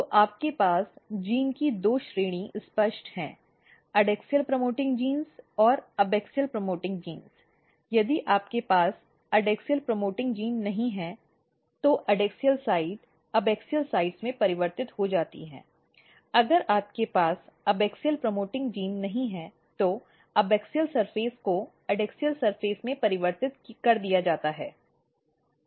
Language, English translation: Hindi, So, you have clear two category of genes the adaxial promoting genes and abaxial promoting genes if you do not have adaxial promoting genes adaxial sides get converted into abaxial sides, if you do not have a abaxial promoting gene abaxial surface get converted into adaxial surface